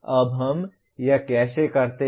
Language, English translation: Hindi, Now how do we do this